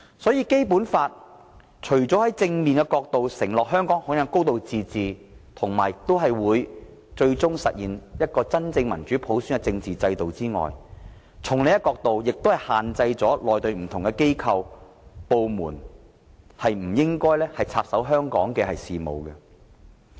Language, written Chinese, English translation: Cantonese, 因此，《基本法》除正面承諾香港享有"高度自治"及最終實現真正民主普選的政治制度外，亦從另一角度限制內地的不同機構和部門不應插手香港事務。, Thus the Basic Law has on the one hand positively promised that Hong Kong enjoys a high degree of autonomy and shall eventually implement a political system which is established through genuine democratic universal suffrage and on the other hand it has restricted Mainland organizations and departments to interfere in the affairs of Hong Kong